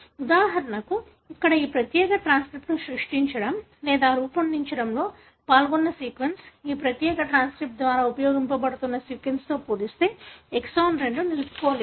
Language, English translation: Telugu, For example here the sequence that are involved in creating or generating this particular transcript, wherein exon 2 is not retained may be very different as compared to the sequence that are being used by this particular transcript